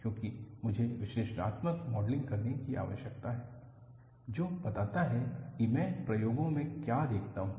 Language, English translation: Hindi, Because, I need to have an analytical modeling, which explains, what I observed in experiment